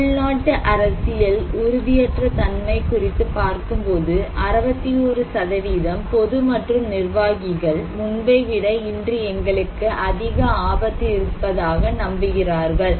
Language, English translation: Tamil, What about domestic political instability; 61% both public and executive, they believe that we have more risk today than before